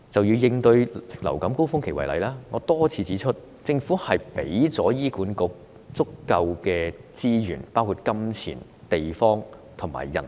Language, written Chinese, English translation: Cantonese, 以應對流感高峰期為例，我多次指出，政府要為醫管局提供足夠資源，包括金錢、地方及人力。, Take for example the tackling of influenza surge I have repeatedly pointed out that the Government should provide HA with sufficient resources including money places and manpower